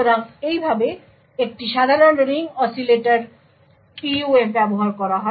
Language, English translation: Bengali, So, this is how a typical Ring Oscillator PUF is used